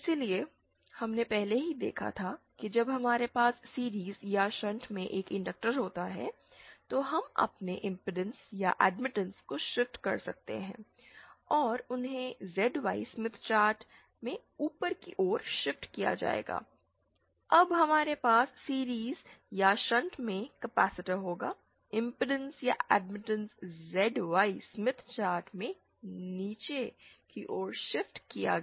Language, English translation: Hindi, So, we already saw that when we have an inductor in series or shunt, we can shift our impedance or admittance and they will be shifted upwards in a ZY Smith chart when we have a capacitor in series or shunt, the impedance or admittance will be shifted downwards in the ZY Smith chart